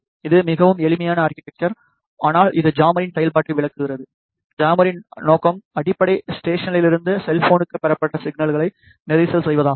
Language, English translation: Tamil, This is a very simplified architecture, but it explains the functionality of the jammer remember the objective of the jammer is to jam the signal that is received from the base station to the cell phone